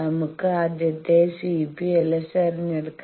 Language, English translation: Malayalam, Let we choose the first one C p l s